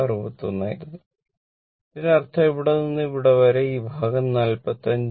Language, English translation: Malayalam, 61; that means, this this from here to here this portion will be 45 minus 39